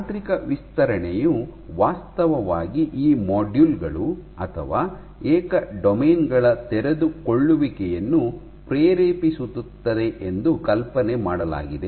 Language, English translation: Kannada, Now it is hypothesized that mechanical stretch actually induces unfolding of these modules or individual domains of it